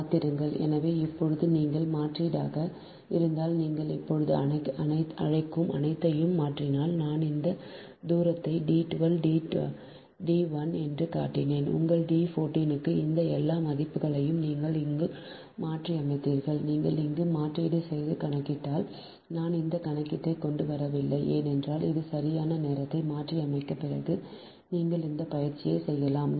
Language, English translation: Tamil, now, if you substitute, i mean if you substitute all this, what you call, just now i showed all this distance, that d one, two, d one, your d one, four, whatever you got all the, all this values you substitute here, right, if you substitute and calculate here i didnt bring those calculation because then it will kill more time this you can do as an exercise, right after substituting all this right, all all this values you will substitute, then what will happen